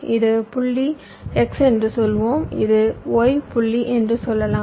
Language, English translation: Tamil, lets say this is the point x, lets say this is the point y